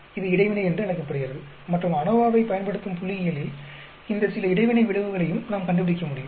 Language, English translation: Tamil, That is called interaction and in statistics using ANOVA, we will be able to find out some these interaction effects also